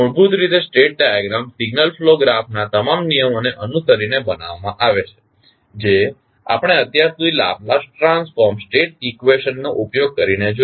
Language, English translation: Gujarati, Basically, the state diagram is constructed following all rules of signal flow graph which we have seen till now using Laplace transformed state equation